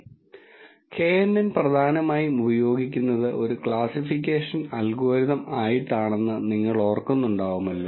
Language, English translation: Malayalam, If you remember knn is primarily used as a classification algorithm